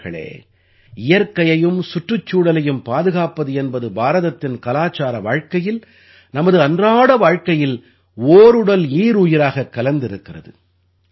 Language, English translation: Tamil, Friends, the protection of nature and environment is embedded in the cultural life of India, in our daily lives